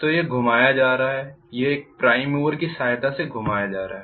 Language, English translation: Hindi, So this is going to be rotated, this is going to be rotated with a help of prime mover